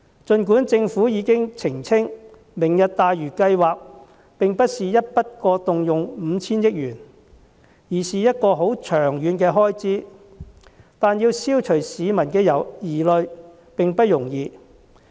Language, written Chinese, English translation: Cantonese, 儘管政府已經澄清，"明日大嶼"計劃並不是一筆過動用 5,000 億元，該筆費用是很長遠的開支，但要消除市民的疑慮並不容易。, Despite the Governments clarification that the 500 billion will not be spent in one go for the Lantau Tomorrow plan as it will be a long - term expenditure it is still not easy to dispel peoples concern